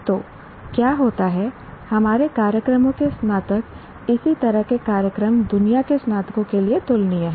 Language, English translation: Hindi, So what happens, the graduates of our programs are comparable to graduates of programs, similar programs elsewhere in the world